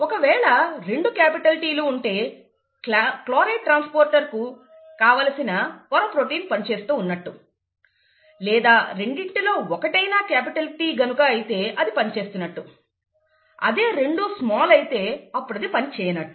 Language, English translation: Telugu, If both capital Ts are present, then the membrane protein for chloride transporter is functional; if at least one of them is capital T, then it is functional; if both are small, then it is non functional